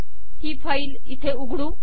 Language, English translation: Marathi, Lets open this file here